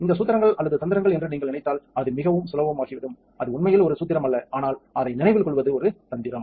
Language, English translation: Tamil, So, if you if you remember this formulas or this what you call tricks, then it becomes very easy it is not really a formula, but its a trick to remember